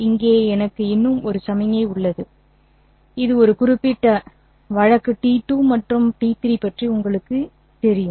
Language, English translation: Tamil, Then I have one more signal here which goes on this particular case, say 2 and T3